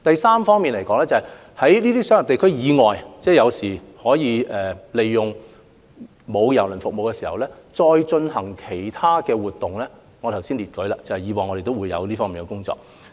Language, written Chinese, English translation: Cantonese, 此外，關於在商業地區以外，可以利用沒有提供郵輪服務的時間進行其他活動的建議，我剛才也列舉了我們以往在這方面的工作。, Furthermore regarding the suggestion of holding other events in the non - commercial area when KTCT is not providing cruise service just now I have given examples of our previous work in this regard